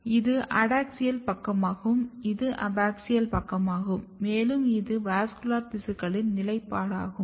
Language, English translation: Tamil, So, this is your adaxial side this is your abaxial side and if you look the positioning of the vascular tissue